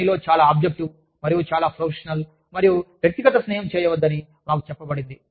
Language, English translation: Telugu, We are told to be, very objective, and very professional, and not make personal friendship, at work